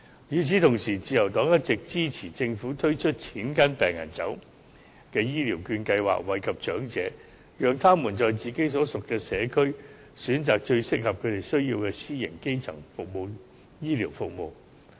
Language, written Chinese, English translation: Cantonese, 與此同時，自由黨一直支持政府推出"錢跟病人走"的醫療券計劃，惠及長者，讓他們在自己所屬的社區，選擇最適合他們需要的私營基層醫療服務。, At the same time the Liberal Party all along supports the Governments introduction of the Health Care Voucher Scheme based on the principle of money follows patients so as to benefit elderly people and enable them to choose those private primary health care services that best suit their needs in their communities